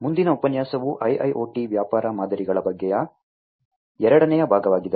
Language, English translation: Kannada, So, the next lecture is about IIoT Business Models, the second part of it